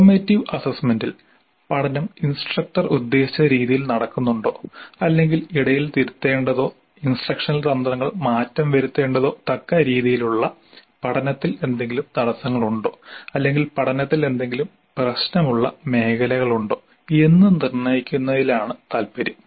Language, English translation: Malayalam, In formative assessment the interest is more on determining whether the learning is happening the way intended by the instructor or are there any bottlenecks in learning or any sticky points in learning which require some kind of a mid course correction, some kind of a change of the instructional strategies